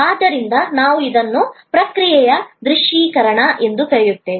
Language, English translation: Kannada, So, we call it visualization of the process